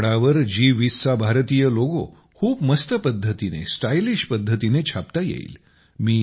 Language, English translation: Marathi, The Indian logo of G20 can be made, can be printed, in a very cool way, in a stylish way, on clothes